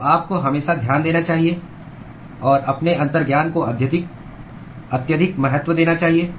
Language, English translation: Hindi, So, you must always pay attention and give utmost importance to your intuition